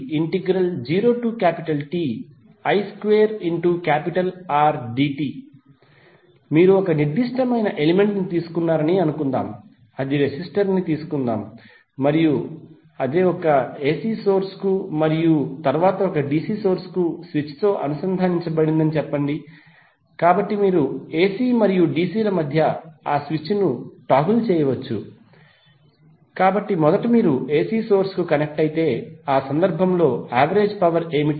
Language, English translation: Telugu, So if you see this particular value is coming from particular AC source means, suppose if you take a particular element, say let’s take the resistor and it is connected to one AC source and one DC source with this which, so you can toggle that switch between AC and DC, so first if you’re connecting to AC source that means the switch is at this side means in that case what would be the average power